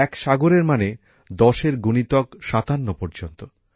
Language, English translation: Bengali, One saagar means 10 to the power of 57